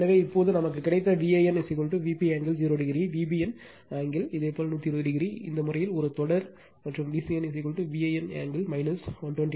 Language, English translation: Tamil, So, now therefore V a n is equal to V p angle 0 degree we got, V b n angle your 120 degree for this case a series sequence and V c n is equal to V p angle minus 120 degree